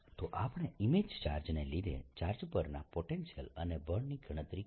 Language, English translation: Gujarati, so we've we, we we have calculated the potential and the force on the charge due to the image charge